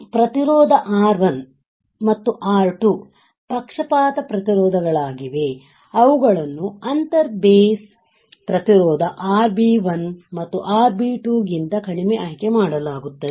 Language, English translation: Kannada, So, resistance R 1 and R 2 are bias resistors which are selected such that they are lower than the inter base resistance RB 1 and RB 2, right